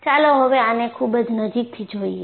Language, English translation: Gujarati, Let us, look at very closely